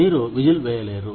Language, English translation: Telugu, You cannot blow the whistle